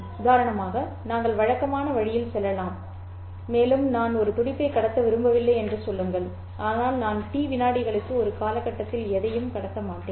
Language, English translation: Tamil, You could, for example, go in the conventional way and say, I don't want to transmit a pulse, but I will transmit nothing during the duration for a duration of T seconds in order to represent the symbol zero